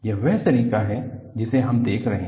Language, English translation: Hindi, This is the way we are looking at